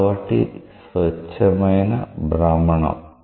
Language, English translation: Telugu, So, it is just a pure rotation